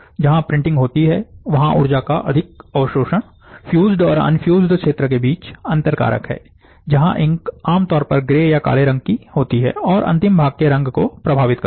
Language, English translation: Hindi, Again, as distinguishing factor between the fused and infused region, is the enhanced absorption of the energy where printing occurs, where the ink are typically grey or black, and thus, affecting the colour of the final part